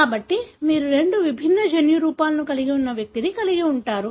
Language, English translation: Telugu, So, you would have an individual who is having two different genotypes